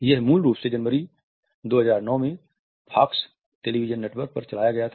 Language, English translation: Hindi, It originally ran on the Fox network in January 2009